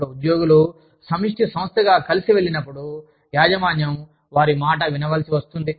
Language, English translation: Telugu, Now, when employees go together as a collective body, the management is forced to listen to them